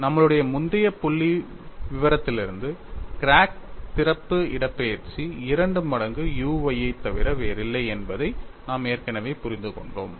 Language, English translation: Tamil, And from our earlier figure, we have already understood that the crack opening displacement is nothing but 2 times u y